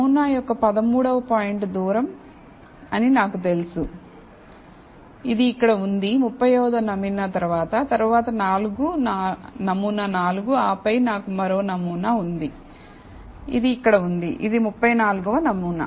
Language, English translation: Telugu, So now, I know the 13th point of the sample is the farthest, which is here, followed by the 35th sample, followed by the sample 4 and then I have one more sample, which is here, which is the 34th sample